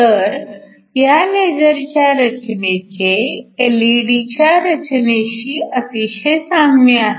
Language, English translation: Marathi, We said that the structure of a laser is very similar to that of an LED